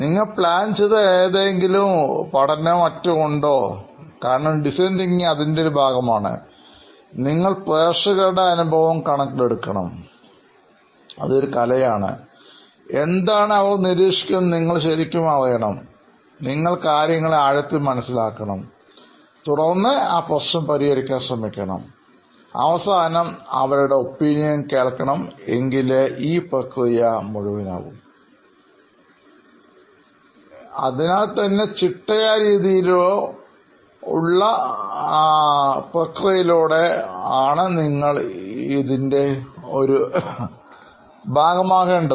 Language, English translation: Malayalam, Is there any study or anything that you guys did systematically so because design thinking is one part of it is art in the sense that you have to empathize with the audience, you have to really get to know what you are observing but you are going a level deeper and then you are trying to solve that issue and then you are finally going back to them this is what I think will solve it for you